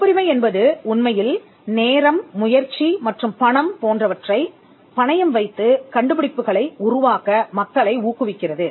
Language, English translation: Tamil, The patent system actually incentivizes people to take risky tasks like spending time, effort and money in developing inventions